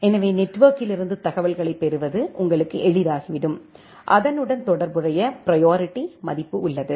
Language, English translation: Tamil, So, that it becomes easier for you to get the information from the network and then there is a priority value associated, which is the priority of a corresponding rule